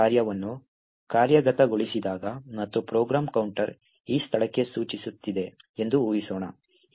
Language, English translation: Kannada, When the main function gets executed and let us assume that the program counter is pointing to this particular location